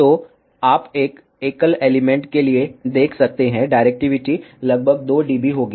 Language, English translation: Hindi, So, you can see for a single element, directivity will be approximately 2 dB